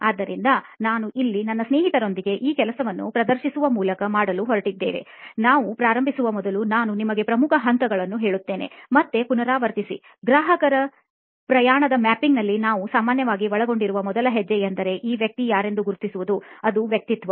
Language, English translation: Kannada, So over to these people and for before we start that I will tell you the major steps, just again recap; is the first step that we normally involve in customer journey mapping is to know who this person is: persona